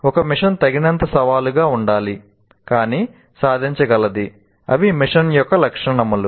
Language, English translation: Telugu, Mission should be challenging enough but achievable